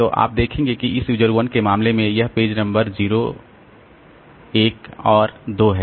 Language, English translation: Hindi, So, you see that in case of this user 1, so this page number 0, 1 and 2